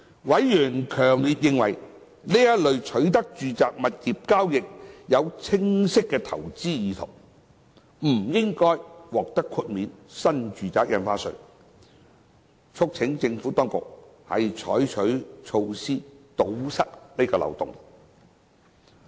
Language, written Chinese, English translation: Cantonese, 委員強烈認為，此類取得住宅物業的交易有清晰投資意圖，不應獲豁免新住宅印花稅，促請政府當局採取措施堵塞此漏洞。, Members feel strongly that such acquisitions demonstrate clear investment intent and should not be exempted from NRSD and they have urged the Administration to consider introducing measures to plug this loophole